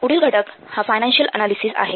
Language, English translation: Marathi, And the next component is financial analysis